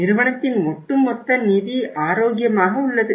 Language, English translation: Tamil, Overall financial health of the company is good